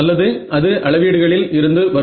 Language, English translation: Tamil, Either it will come from measurement